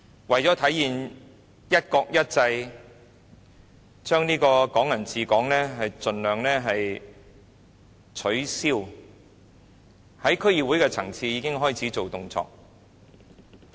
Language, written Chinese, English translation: Cantonese, 為了體現"一國一制"，盡量取消"港人治港"，在區議會的層次已經開始有動作。, To enforce one country one system and abolish Hong Kong people ruling Hong Kong by all means they have started to take actions at the level of DCs